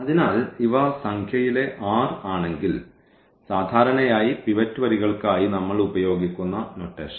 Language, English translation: Malayalam, So, if these are the r in number which usually the notation we use for pivot rows